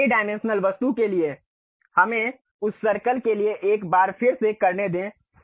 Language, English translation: Hindi, For this 3 dimensional object let us do it once again for that circle